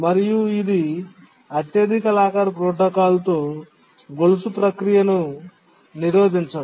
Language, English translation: Telugu, What it means is that under the highest locker protocol chain blocking cannot occur